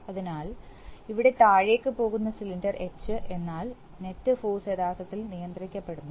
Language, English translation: Malayalam, So, the cylinder H coming down is actually being, here the net force is actually being controlled